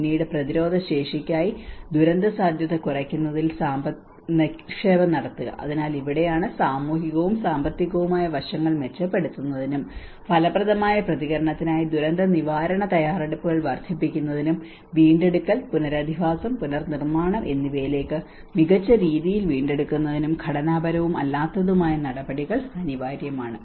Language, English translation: Malayalam, Then investing in disaster risk reduction for resilience so this is where both the structural and non structural measures are essential to enhance the social and economic aspects and enhance disaster preparedness for effective response and to build back better into both recovery, rehabilitation and reconstruction